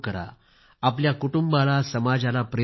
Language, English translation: Marathi, Inspire the society and your family to do so